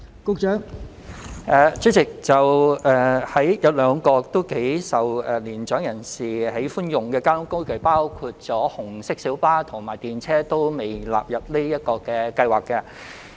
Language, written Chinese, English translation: Cantonese, 代理主席，有兩種頗受年長人士喜歡的交通工具——紅色小巴及電車——皆尚未納入優惠計劃之內。, Deputy President two modes of transport that are quite popular among elderly people―namely red minibuses and trams―have not been included in the Scheme